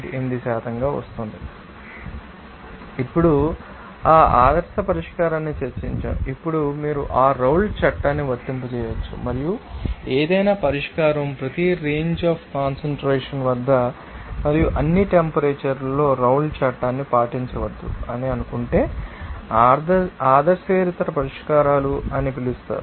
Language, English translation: Telugu, Now, we have by you know discuss that ideal solution, where you can apply that Raoult’s Law and if suppose any solution do not obey the Raoult’s Law at every range your concentration and at all temperatures that will be called as nonideal solutions